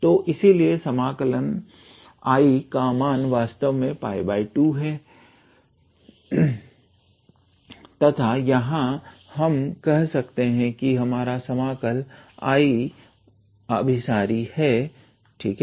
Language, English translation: Hindi, So, therefore, the value of the integral I is actually pi by 2 and from here we can say that our integral I is convergent, all right